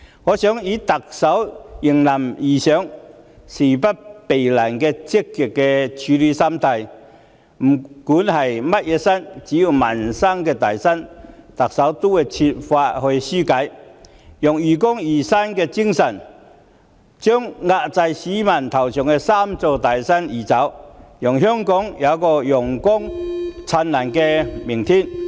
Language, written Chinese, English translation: Cantonese, 我想以特首迎難而上、事不避難的積極處事心態，不管是甚麼山，只要是民生"大山"，特首都會設法紓解，用愚公移山的精神將壓在市民頭上的"三座大山"移走，讓香港有個陽光燦爛的明天。, The Chief Executive adopts a positive attitude in rising up to challenges so be it any kind of mountain as long as peoples livelihood is at stake I believe she will try to remove the three big mountains over the people and lead Hong Kong to a bright future